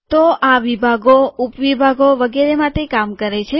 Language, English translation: Gujarati, So this works for sections, sub sections and so on